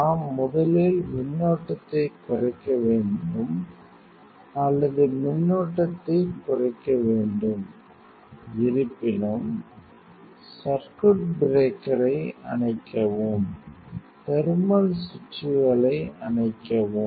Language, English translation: Tamil, We have to first minimize the current or decrease the current; however, and switch off the circuit breaker, switch off the thermal switches